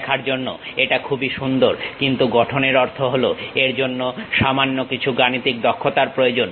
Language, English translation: Bengali, It looks for visual very nice, but construction means it requires little bit mathematical skill set